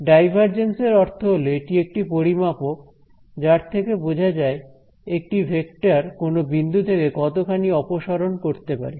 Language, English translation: Bengali, So, the divergence it sort of measures how much a vector diverges from a given point ok